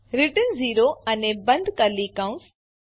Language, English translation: Gujarati, return 0 and ending curly bracket